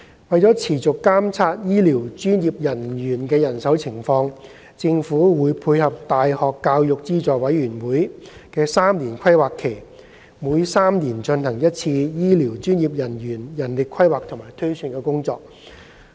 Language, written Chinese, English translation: Cantonese, 為持續監察醫療專業人員的人手情況，政府會配合大學教育資助委員會的3年規劃期，每3年進行一次醫療專業人員人力規劃和推算工作。, As an ongoing initiative to monitor the manpower of health care professionals the Government will conduct manpower planning and projections for health care professionals once every three years in step with the triennial planning cycle of the University Grants Committee UGC